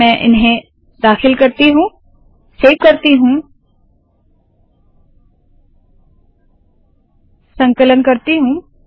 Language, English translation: Hindi, Let me put them, save them, compile them